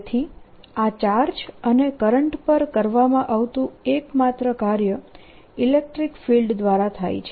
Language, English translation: Gujarati, so the only work that is done on these charges and currents is by the electric field